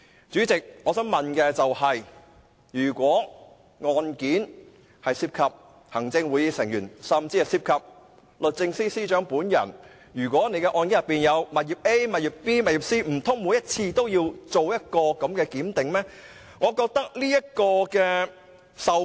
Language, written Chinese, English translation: Cantonese, 主席，我想問的是，如果案件涉及行政會議成員，甚或律政司司長本人擁有的物業 A、B 或 C， 難道每次都要視乎案情檢視應否作出授權？, President for cases involving Members of the Executive Council or even properties A B or C owned by the Secretary for Justice will the Secretary for Justice also have to consider delegating his or her authority depending upon the facts of each individual case? . This is my question